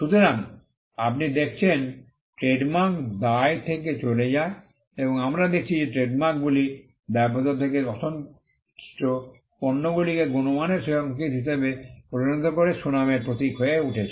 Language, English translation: Bengali, So, you have seen trademarks go from liability and we have seen trademarks go from attributing liability to unsatisfactory goods to becoming signals of quality then, becoming symbols of reputation